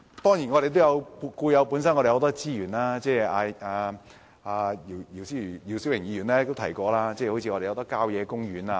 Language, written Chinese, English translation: Cantonese, 當然，本港本身亦有很多資源，姚思榮議員也提過本港有很多郊野公園。, Of course we have many other resources . Mr YIU Si - wing has also mentioned that there are many country parks in Hong Kong